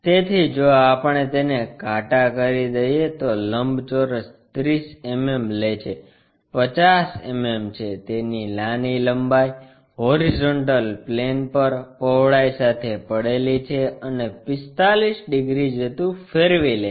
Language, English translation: Gujarati, So, if we are darkening it, the rectangle is taking 30 mm, 50 mm resting it smallerah length, breadth on the horizontal plane and rotating it by 45 degrees